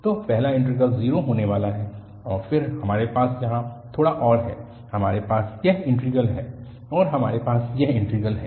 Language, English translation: Hindi, So, the first integral is going to be 0 and then we have a little more here, we have this integral and we have this integral